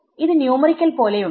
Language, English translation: Malayalam, It looks like a numerical